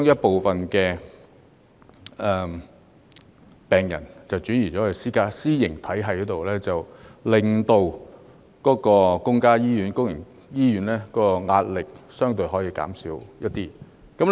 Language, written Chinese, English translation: Cantonese, 部分病人轉到私營醫療體系，可令公營醫院的壓力相對減輕一點。, When some patients have switched to the private health care system the pressure on public hospitals will be eased to some extent